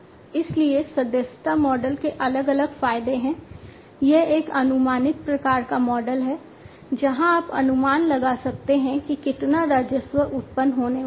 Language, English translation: Hindi, So, there are different advantages of the subscription model, it is a predictable kind of model, where you can predict how much revenue is going to be generated